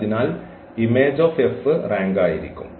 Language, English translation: Malayalam, So, image of F will be the rank